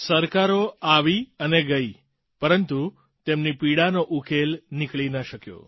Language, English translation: Gujarati, Governments came and went, but there was no cure for their pain